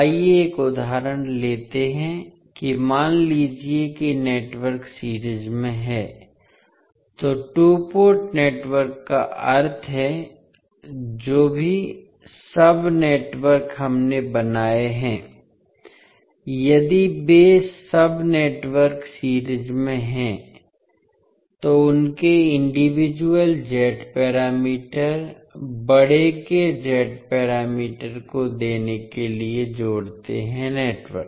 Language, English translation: Hindi, Let us take an example that suppose the network is in series means the two port networks these are whatever the sub networks we have created, if these sub networks are in series then their individual Z parameters add up to give the Z parameters of the large network